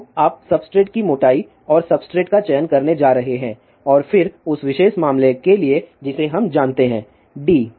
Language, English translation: Hindi, So, you are going to chose the substrate thickness and substrate and then for that particular case we know d